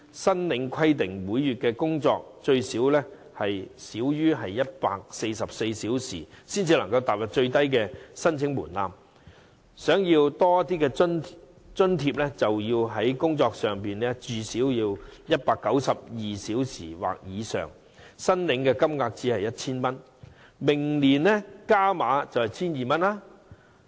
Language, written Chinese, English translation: Cantonese, 計劃規定申請人每月須最少工作144小時，才符合最低申請門檻，如想獲發多些津貼，便要工作至少192小時或以上，但津貼金額也只是 1,000 元，明年將增加至 1,200 元。, Under the Scheme applicants have to meet the minimum requirement of 144 working hours per month to be eligible for the allowance . If they wish to receive a higher allowance they have to work for 192 hours or more yet the allowance will merely be 1,000 which will be increased to 1,200 next year